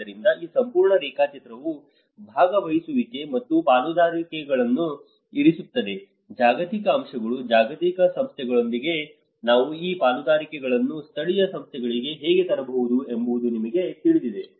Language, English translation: Kannada, So, that is where this whole schematic diagram puts participation and partnerships, you know how we can bring these partnerships with the global actors, global agencies to the local agencies